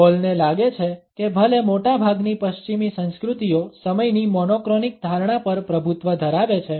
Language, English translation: Gujarati, Hall feels that even though most of the western cultures are dominated by the monochronic perception of time